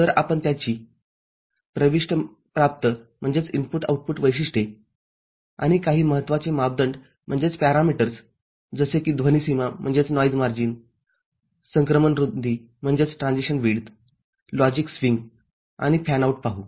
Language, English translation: Marathi, So, we shall look at its input output characteristics and some important parameters like noise margin, transition width, logic swing and fanout